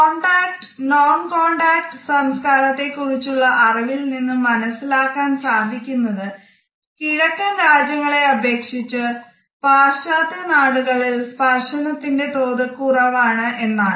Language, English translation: Malayalam, Our understanding of contact and non contact cultures tells us that in comparison to Eastern countries and Eastern cultures touching is relatively scarce in the Western cultures